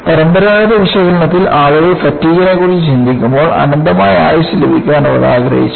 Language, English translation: Malayalam, See, in conventional analysis, when people were thinking about fatigue, they wanted to have infinite life